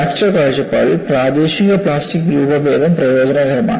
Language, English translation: Malayalam, From fracture point of view, the local plastic deformation is beneficial